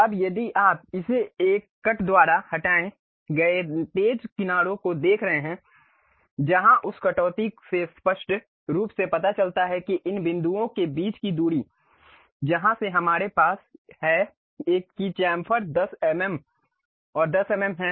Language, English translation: Hindi, Now, if you are seeing this the sharp edges removed by a cut where that cut clearly shows that the distance between these points from where we have that chamfer is 10 mm and 10 mm